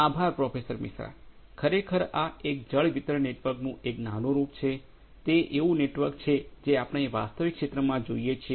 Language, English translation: Gujarati, Thank you Professor Misra, So, actually this is a prototype of a water distribution network, the kind of networks that we see in the real field